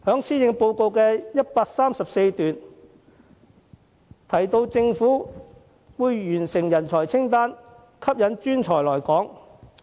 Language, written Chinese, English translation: Cantonese, 施政報告第134段提到，政府會完成制訂人才清單，吸引專才來港。, As mentioned in paragraph 134 of the Policy Address the Government will draw up a talent list for attracting professionals to Hong Kong